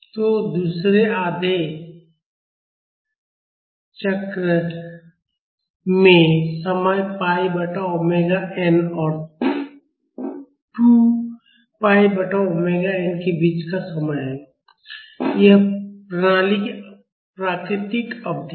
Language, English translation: Hindi, So, in the second half cycle, the time is between pi by omega n and 2 pi by omega n this is the natural period of the system